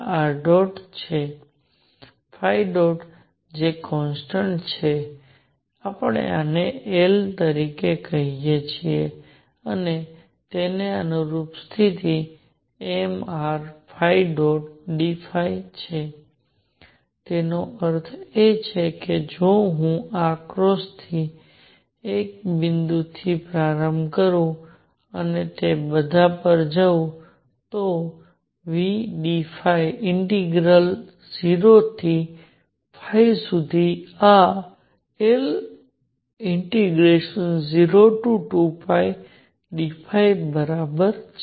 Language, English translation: Gujarati, Phi dot which is a constant let us call this L and the corresponding condition is m r square phi dot d phi over the whole period; that means, if I start from one point from this cross and go all over that is v do d phi integral from 0 to phi this is equal to L time 0 to 2 pi d phi